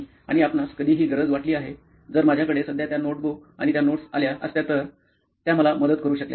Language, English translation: Marathi, And did you ever feel the need to, if I had those notebooks and that notes right now, it would have helped me out